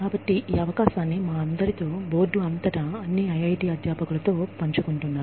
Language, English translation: Telugu, So, this opportunity was shared, with all of us, across the board, with all IIT faculty